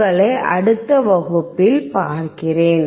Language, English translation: Tamil, I will see you in the next class